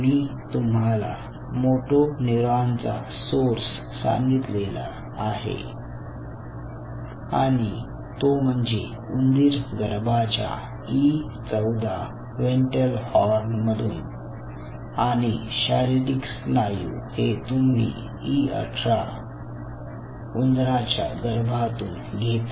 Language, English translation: Marathi, and i told you the source of motor neuron, which is from the e fourteen ventral horn of the rat embryo and skeletal muscle you are collecting from e eighteen rat fetus